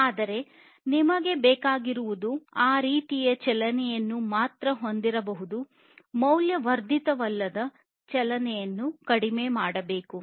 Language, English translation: Kannada, But whatever is required you should have only that kind of movement, non value added movement should be reduced